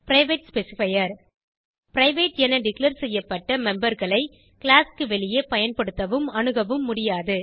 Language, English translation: Tamil, Private specifier The members declared as private cannot be used or accessed outside the class